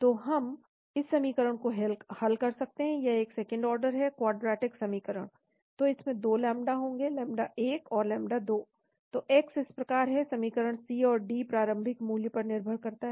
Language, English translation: Hindi, So we can solve this equation, this is a second order; quadratic equation, so this will have 2 lambdas, lambda 1 and lambda 2, so x is given by like this equation C and D depends upon the initial value